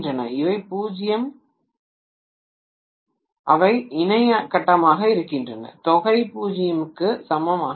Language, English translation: Tamil, Whereas because they are, they are co phasal, the sum is not equal to 0